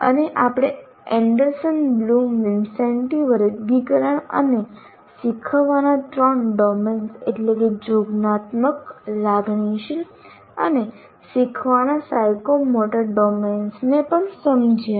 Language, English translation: Gujarati, And we also understood the Anderson Bloom, Vincenti taxonomy and the three domains of learning, namely cognitive, affective and psychomotor domains of learning